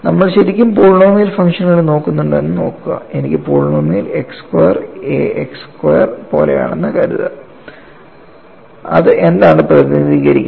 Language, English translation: Malayalam, See if you really look at polynomial functions, suppose I have the polynomial is like x square some a x square and what is that it represents